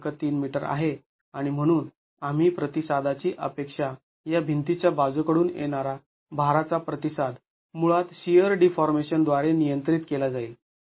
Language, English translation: Marathi, 3 meters in length and hence we expect the response, lateral load response of this wall to be basically governed by shear deformations